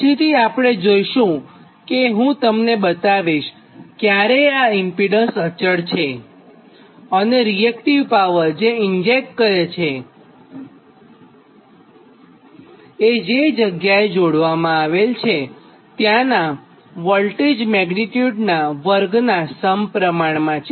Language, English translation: Gujarati, later we will see, ah, i will try to show you where that impedance, constant impedance type load, right, and that value, the reactive power which it injects, actually it is proportional to the square of the voltage magnitude